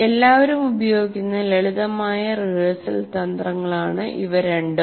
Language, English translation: Malayalam, These two are very familiar rehearsal strategies everybody uses